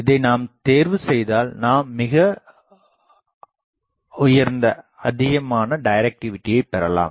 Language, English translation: Tamil, So, it will definitely give us very high directivity